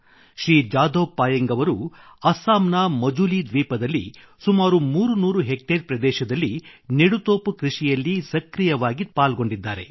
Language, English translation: Kannada, Shri Jadav Payeng is the person who actively contributed in raising about 300 hectares of plantations in the Majuli Island in Assam